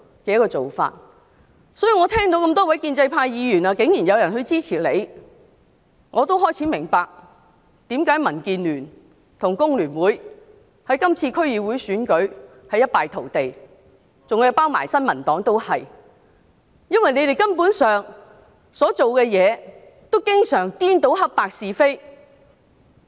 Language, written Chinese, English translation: Cantonese, 所以，當我聽到多位建制派議員竟然支持何君堯議員，我便明白為何民建聯和工聯會在今次區議會選舉一敗塗地，新民黨亦然，原因是他們所做的事根本顛倒黑白是非。, Therefore when I learnt that many Legislative Council Members of the pro - establishment camp turned out to support Dr Junius HO I understood why the Democratic Alliance for the Betterment and Progress of Hong Kong DAB and the Federation of Trade Unions FTU suffered crushing defeat in this District Council Election as did the New Peoples Party . It is because what they are doing is actually confounding right and wrong